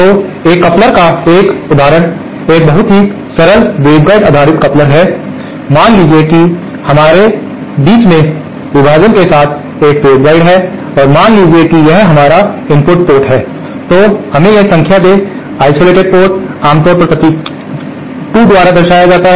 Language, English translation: Hindi, So, one example of a coupler, a very simple waveguide based coupler is suppose, suppose we have a waveguide with the partition in between and suppose this is our input port, let us number this, isolated port is usually represented by the symbol 2, coupled port is represented by the symbol 3 and throughput by the symbol 4